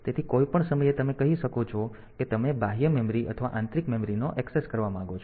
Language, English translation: Gujarati, So, you can at any point of time you can say whether you want to access external memory or internal memory